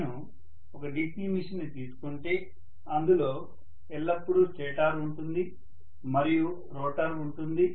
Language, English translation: Telugu, If I take a DC machine, as I told you, there will always be a stator and there will be a rotor